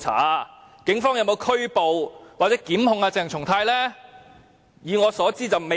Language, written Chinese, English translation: Cantonese, 那警方有否拘捕或檢控鄭松泰議員呢？, Have the Police arrested or initiated charges against Dr CHENG Chung - tai?